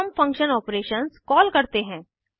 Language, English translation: Hindi, Now we call the function operations